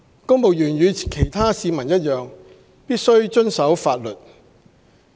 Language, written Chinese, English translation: Cantonese, 公務員與其他市民一樣，必須遵守法律。, Civil servants like other members of the public must abide by the law